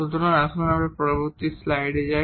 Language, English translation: Bengali, So, let us move to the next slide here